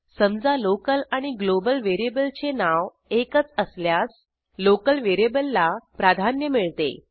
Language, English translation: Marathi, Suppose the local variable and the global variable have same name